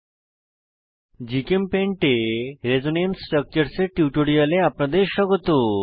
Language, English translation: Bengali, Welcome to this tutorial on Resonance Structures in GChemPaint